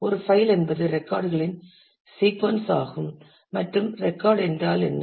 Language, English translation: Tamil, A file is a sequence of records, and what is a record